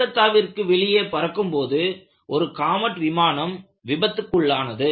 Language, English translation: Tamil, In fact, there was also an accident of Comet flying out of Calcutta